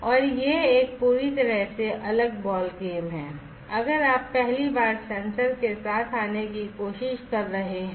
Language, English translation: Hindi, And it is a completely different ball game if you are trying to come up with a sensor for the first time